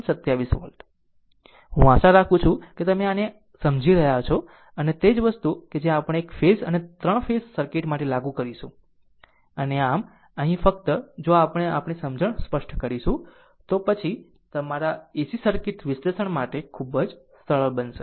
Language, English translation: Gujarati, 27 volt, I hope you are understanding this, right and same thing that we will be applied for single phase and 3 phases circuit right and ahso, here only ah if we make our understanding clear, then things will be will be very easy for your ac circuit analysis